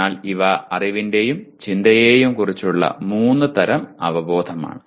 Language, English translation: Malayalam, So these are three types of awareness of knowledge and thinking